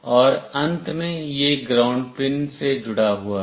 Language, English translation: Hindi, And finally, this one is connected to the ground pin